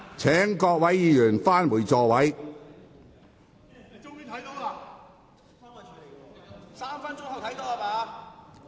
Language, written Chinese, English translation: Cantonese, 請各位議員返回座位。, Will Members please return to their seats